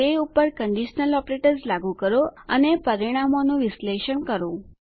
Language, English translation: Gujarati, Lets apply conditional operators on them and analyse the results